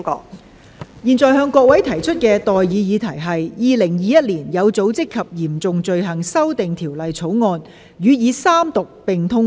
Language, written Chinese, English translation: Cantonese, 我現在向各位提出的待議議題是：《2021年有組織及嚴重罪行條例草案》予以三讀並通過。, I now propose the question to you and that is That the Organized and Serious Crimes Amendment Bill 2021 be read the Third time and do pass